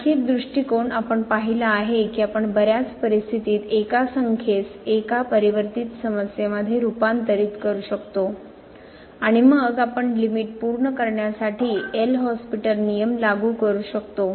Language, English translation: Marathi, Another approach we have seen that we can convert in many situation a number into one variable problem and then, we can apply L’Hospital’ rule for example, to conclude the limit